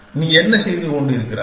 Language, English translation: Tamil, What are you doing